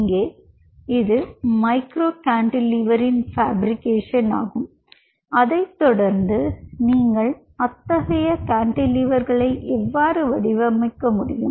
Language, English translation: Tamil, here it is fabrication of micro cantilever, followed by how you can pattern such cantilevers